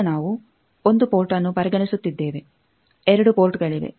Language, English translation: Kannada, Now, we are considering 1 port there are 2 ports